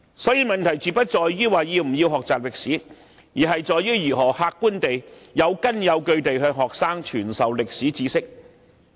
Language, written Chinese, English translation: Cantonese, 所以，問題絕不在於要不要學習歷史，而是如何客觀和有根有據地向學生傳授歷史知識。, Thus the question is not whether there is a need to learn history but how knowledge about history should be transmitted to students objectively and with justifications